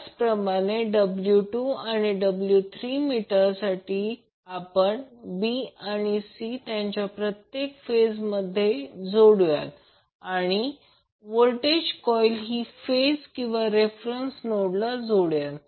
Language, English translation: Marathi, Similarly for W 2 and W 3 meters will connect them to individual phases that is b and c and the potential coil that is voltage coil will be connected between phases and the reference node